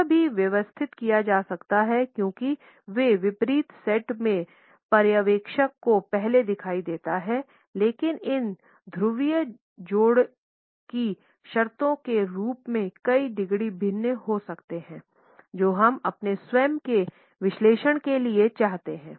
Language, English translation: Hindi, It can also be arranged as they appear before the observer in contrastive sets, but the terms of these polar pairs can differ by as many degrees is we want for our own analysis